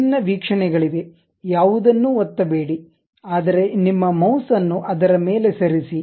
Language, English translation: Kannada, There are different views uh do not click anything, but just move your mouse onto that